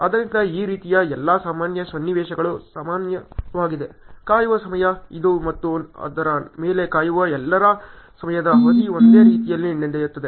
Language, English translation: Kannada, So, like this all normal scenarios generally happen ok, waiting time, this that and the time duration for all those waiting on it happens in the same way